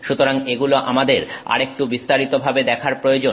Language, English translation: Bengali, So, we need to look at this in some detail